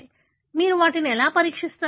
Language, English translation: Telugu, So, how do you test them